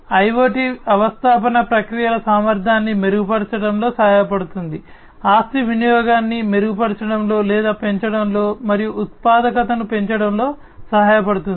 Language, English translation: Telugu, IoT is IoT infrastructure can help in improving the efficiency of the processes can help in improving or enhancing the asset utilization, and increasing productivity